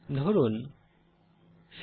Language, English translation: Bengali, Let say 50